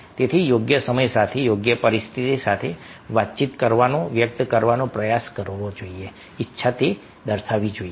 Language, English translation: Gujarati, so, with the right time, with the right situation, we should try to communicate, express, there should be a willingness